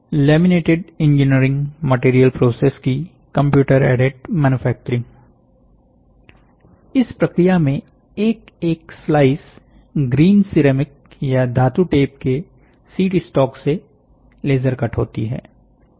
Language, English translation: Hindi, Computer aided manufacturing of laminated engineering material process; in this process individual sizes are laser cut from sheet stock of green ceramic or metal tape